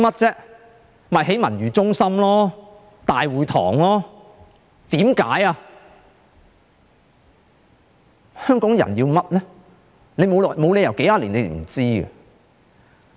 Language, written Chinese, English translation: Cantonese, 就是興建文娛中心和大會堂，香港人需要甚麼呢？, It was the construction of civic centres and the City Hall . What do Hongkongers need?